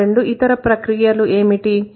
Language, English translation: Telugu, What are the two other phenomena